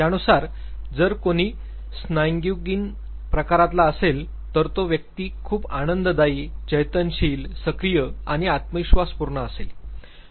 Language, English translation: Marathi, He said that if somebody is sanguine type; that means, the individual would be cheerful, very active and confident